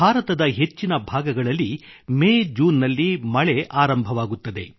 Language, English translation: Kannada, In most parts of India, rainfall begins in MayJune